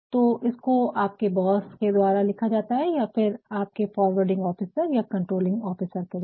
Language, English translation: Hindi, So, it is being written by your boss or your forwarding officer controlling officer